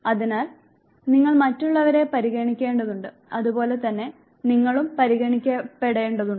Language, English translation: Malayalam, So, you need to regard others as well as you also need to be regarded